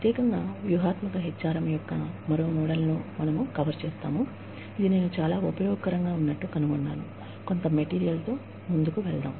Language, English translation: Telugu, Specifically, we will cover one more model, of strategic HRM, that I found to be very useful, as I was going through, some material